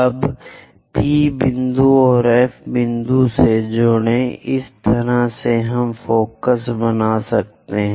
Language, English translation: Hindi, Now join P point and F point; this is the way we construct focus